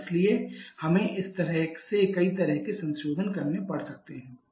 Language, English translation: Hindi, And therefore we may have to for several kind of modification just like this one